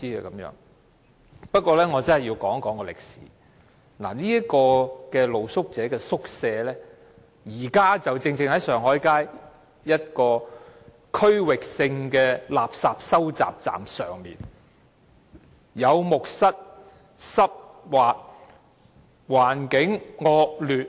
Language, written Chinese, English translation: Cantonese, 我要談一談歷史，露宿者宿舍現時設於上海街一個區域性垃圾收集站上，有木蝨，環境濕滑惡劣。, I would like to talk about some history . The conditions of the present street sleepers shelter situated above a regional refuse collection point RCP on Shanghai Street are highly undesirable with wet and slippery floors and bedbugs